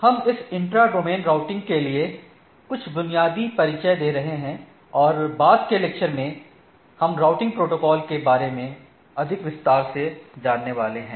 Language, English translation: Hindi, We will be having some basic introduction to this inter Intra Domain Routing and in the subsequent lecture we will be going to more detail about the routing protocols right